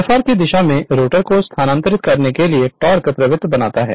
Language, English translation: Hindi, Creates the torque tending to move the rotor in the direction of Fr